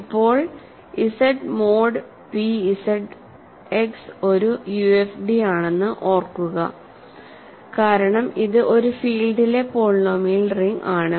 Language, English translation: Malayalam, Now, recall that Z mod p Z X is a UFD, right because it is a polynomial ring over a field